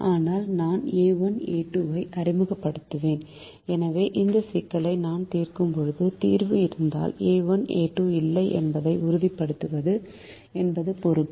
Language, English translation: Tamil, but i'll introduced a one a two and therefore it is my responsibility to make sure that when i solve this problem the solution, if it exists, does not have a one a two